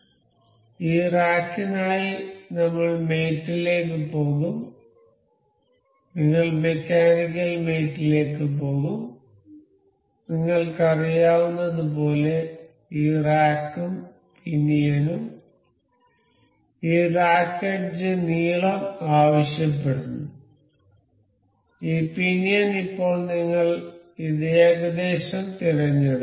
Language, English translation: Malayalam, So, for this rack I will go to mate and we will go to mechanical mates, and this rack and pinion as you know this asks for this rack edge length and this pinion will select for now we will select this approximately